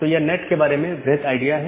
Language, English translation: Hindi, Now, this is the broad idea of NAT